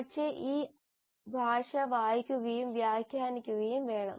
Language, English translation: Malayalam, But that language has to be read and interpreted